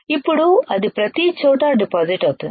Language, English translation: Telugu, Now it will deposit everywhere